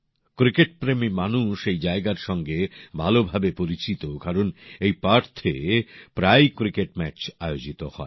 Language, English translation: Bengali, Cricket lovers must be well acquainted with the place since cricket matches are often held there